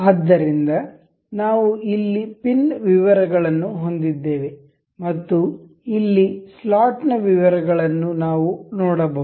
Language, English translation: Kannada, So, we will here we can see we have the details of pin and here we have the details of slot